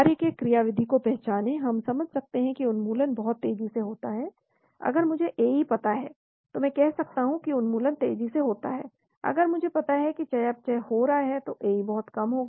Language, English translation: Hindi, Identify mechanism of action, we can understand elimination happens very fast, if I know the AE I can say where elimination happens fast, if AE is very low than I know metabolism happens